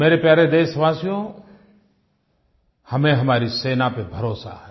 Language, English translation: Hindi, My dear countrymen, we have full faith in our armed forces